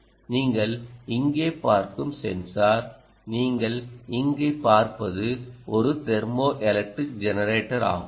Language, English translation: Tamil, ok, the sensor that you have seen here, the one that you see here, essentially is a thermoelectric generator